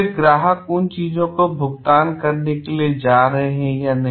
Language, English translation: Hindi, Then are the client's going to pay for those things or not